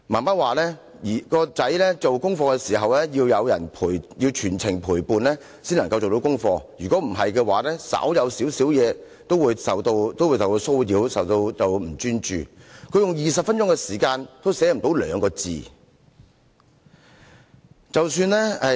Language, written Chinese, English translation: Cantonese, 媽媽說兒子做功課時要有人全程陪伴，才能完成功課，否則稍有小小事情，都會受到騷擾，變得不專注 ，20 分鐘也寫不到兩個字。, According to his mother he needed someone to accompany him to finish his homework; otherwise his concentration would be easily disturbed for any minor matters . He could not finish writing two Chinese characters in 20 minutes